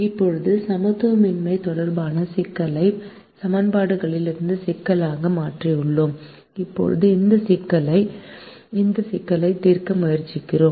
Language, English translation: Tamil, now we have converted a problem with inequalities into a problem with equations, and we now try to solve this problem